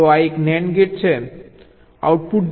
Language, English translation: Gujarati, so this is a nand gate, output is g